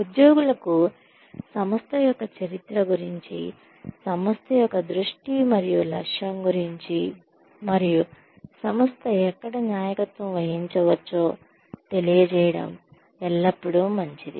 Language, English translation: Telugu, It is always nice to inform employees, about the history of an organization, about the vision and mission of the organization, and about where the organization might be headed